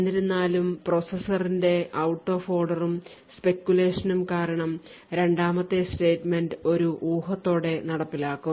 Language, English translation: Malayalam, So however due to the out of order and speculative execution of the processor the second statement would be speculatively executed